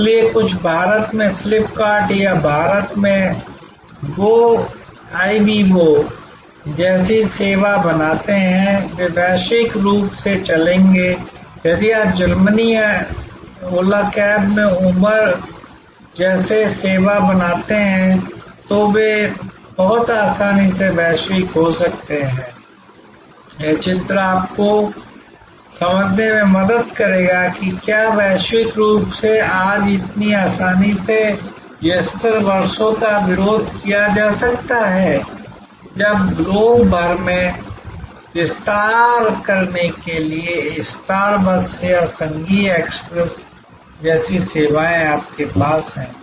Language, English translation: Hindi, So, few create a service like FlipKart in India or Goibibo in India, they will go global, if you create a service like Uber in Germany or Ola cabs, they can very easily go global, this diagram will help you to understand that why they can global go global so easily today as opposed to yester years, when services like star bucks or federal express to yours to expand across the globe